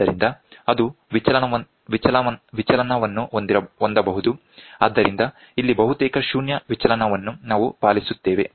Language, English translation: Kannada, So, it can have deflection so, here it is almost, null deflection is what we follow